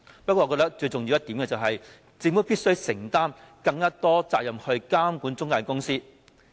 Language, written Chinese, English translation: Cantonese, 不過，我認為最重要的一點是，政府必須承擔更多監管中介公司的責任。, Having said that I think it is most important for the Government to assume more responsibilities in the regulation of intermediaries